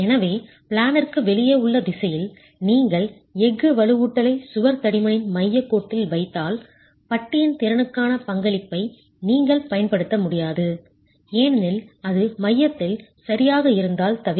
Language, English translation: Tamil, So, in the out of plane direction, if you are placing the steel reinforcement at the center line of the wall thickness, you are not going to be able to use the contribution to capacity by the bar because it is right in the center